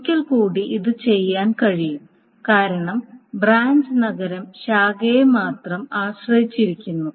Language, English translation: Malayalam, Once more this can be done because the branch city is depends only on the branch